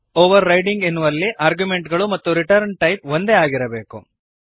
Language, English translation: Kannada, In overriding the arguments and the return type must be same